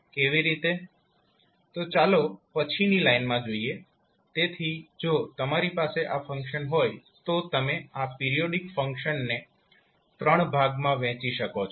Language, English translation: Gujarati, Let’ us see in the next line, so if you have this particular function you can divide this the periodic function into three parts